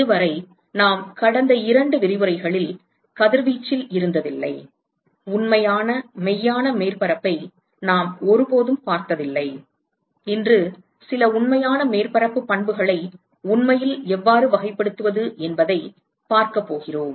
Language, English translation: Tamil, So far we never in radiation the last two lectures, we never looked at the actual real surface and today we are going to see how to actually characterize some of the real surface properties, all right